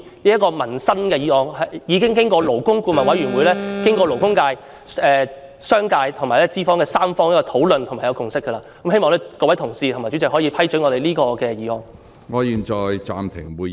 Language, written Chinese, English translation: Cantonese, 這項涉及民生的《條例草案》已經勞工顧問委員會、勞工界、商界和資方三方討論並已達成共識，希望各位同事支持，以及希望主席批准這項議案。, The Bill which concerns peoples livelihood has been discussed by the Labour Advisory Board and a consensus has been reached among the labour sector the business sector and employers . I hope Honourable colleagues will support it and the President will grant permission to my moving of the motion